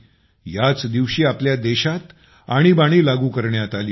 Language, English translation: Marathi, This is the very day when Emergency was imposed on our country